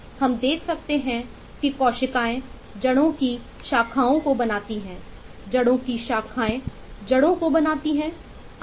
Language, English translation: Hindi, you can eh see that eh cells form branch roots, branch roots eh going to forming roots and so on